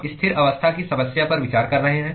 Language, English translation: Hindi, We are considering a steady state problem